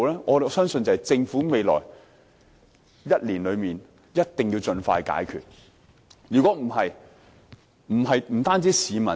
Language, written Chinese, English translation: Cantonese, 我相信政府在未來1年內必須盡快解決這個問題。, I believe the Government must resolve this problem expeditiously in the coming year